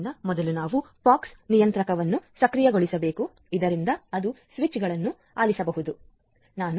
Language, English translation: Kannada, So, first we have to enable the POX controller so, that it can listen to the switches